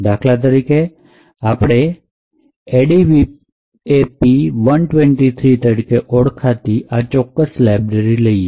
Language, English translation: Gujarati, Let us take for example one particular library over here which is known as the ADVAP123